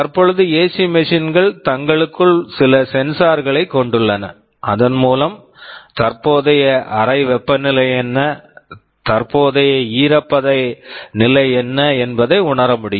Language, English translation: Tamil, The ac machine itself can have some sensors inside it, can sense what is the current room temperature, what is the current humidity level